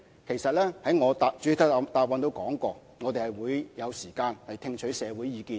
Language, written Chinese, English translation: Cantonese, 其實，我在主體答覆中也說過，我們會有時間聽取社會意見。, In fact as I said in the main reply there will be time for us to listen to the views in society